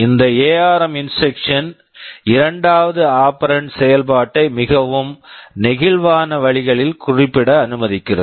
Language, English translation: Tamil, This ARM instruction allows the second operand to be specified in more flexible ways